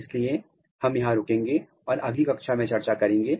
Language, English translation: Hindi, So, we will stop here and we will discuss in next class